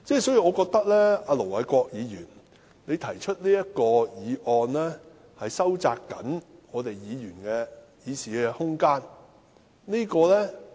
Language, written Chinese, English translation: Cantonese, 所以，我覺得盧偉國議員動議中止待續議案，是要收窄議員的議事空間。, I am simply dealing with the matter at issue . This is not a problem . Therefore I think Ir Dr LO Wai - kwok moved an adjournment motion to narrow Members room for discussion